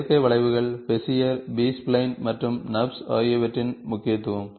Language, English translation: Tamil, importance of synthetic curves, Bezier, B spline, NURBS